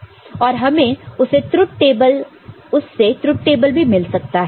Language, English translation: Hindi, And we can get the truth table out of it